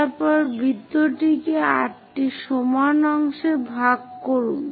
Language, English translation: Bengali, After that, divide the circle into 8 equal parts